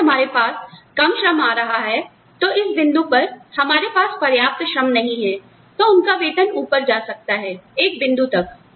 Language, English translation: Hindi, If we have less labor coming in, from this, at this point, if we do not have enough labor, their wages are likely to go up, to a point